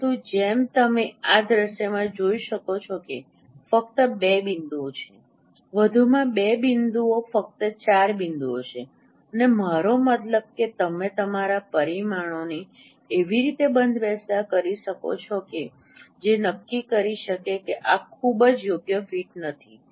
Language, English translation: Gujarati, But as you can see in this scenario there are only say two points, additionally two points, only four points and I mean you can set your parameters in such a way which can decide that this is not a very good fit